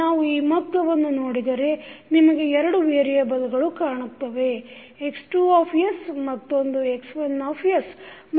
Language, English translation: Kannada, If we see this figure you have two variables one is x2s and another is x1s